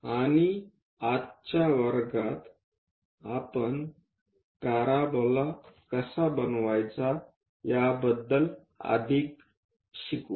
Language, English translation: Marathi, And in today's class, we will learn more about how to construct parabola